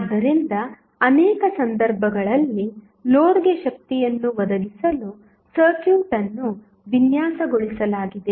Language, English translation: Kannada, So, in many situation the circuit is designed to provide the power to the load